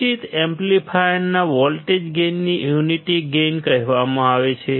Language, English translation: Gujarati, Voltage gain of the indicated amplifier is called unity gain